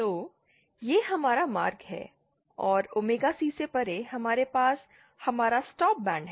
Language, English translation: Hindi, So, this is our passband and beyond omega C, we have our stop band